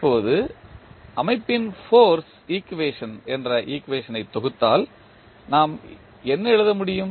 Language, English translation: Tamil, Now, if we compile the equation which is force equation of the system, what we can write